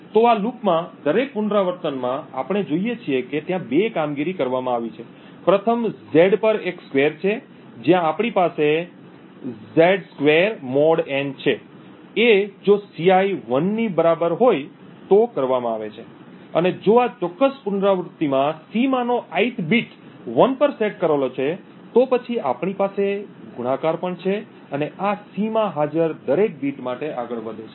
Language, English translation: Gujarati, So in each iteration of this loop we see that there are two operations that are performed, first is a squaring on Z, where we have (Z^2 mod n) that is performed and if Ci is equal to 1 that is if the ith bit in C in this particular iteration is set to 1, then we also have a multiplication and this goes on for every bit present in C